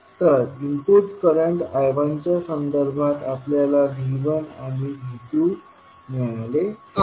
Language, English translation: Marathi, So V 1 and V 2 we have got with respect to input current I 1